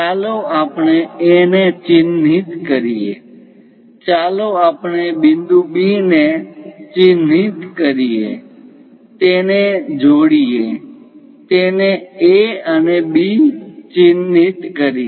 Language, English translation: Gujarati, Let us mark A; perhaps let us mark point B, join them;mark it A and B